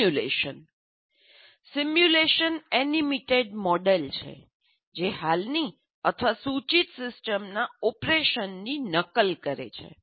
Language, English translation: Gujarati, A simulation is an animated model that mimics the operation of an existing or proposed system